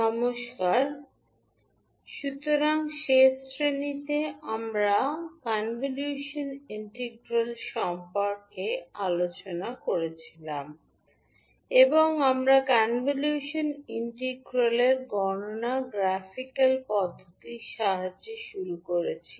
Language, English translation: Bengali, Namashkar, so in the last class we were discussing about the convolution integral, and we started with the graphical approach of calculation of the convolution integral